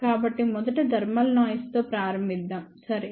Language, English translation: Telugu, So, let us start with the first one which is a thermal noise ok